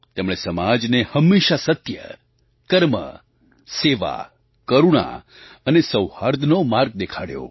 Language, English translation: Gujarati, He always showed the path of truth, work, service, kindness and amity to the society